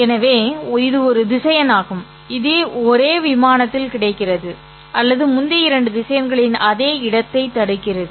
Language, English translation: Tamil, So it is the same vector which is lying in the same plane or it is inhabiting the same space as the two earlier vectors